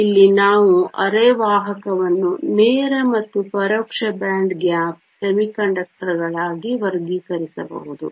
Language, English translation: Kannada, So, here we can classify semiconductor as direct and indirect band gap semiconductors